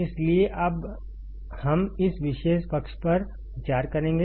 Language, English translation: Hindi, So, now we will just consider this particular side